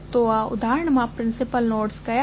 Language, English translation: Gujarati, So, what are the principal nodes in this case